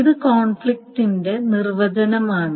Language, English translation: Malayalam, So that is the definition of conflict equivalent